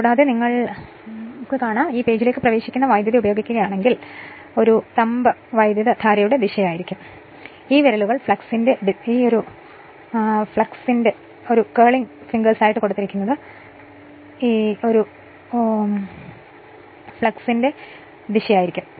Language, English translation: Malayalam, And if you use current entering into the page then the thumb will be what you call the direction of the current and this fingers, the curling fingers will be the direction of the flux right